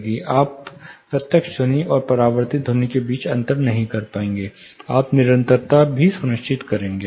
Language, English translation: Hindi, You will not be able to you know distinguish between the direct sound, and the reflected sound you will also ensure the continuity